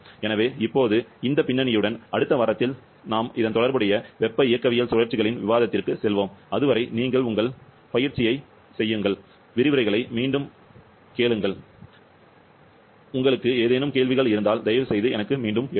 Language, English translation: Tamil, So with this background now, in the next week, we shall be going to the discussion of relevant thermodynamic cycles, till then you do your exercise, repeat the; or revise the lectures and if you have any query, please write back to me